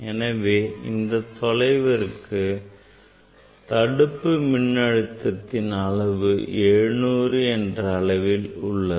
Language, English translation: Tamil, it is around 700 for that distance this stopping voltage is 700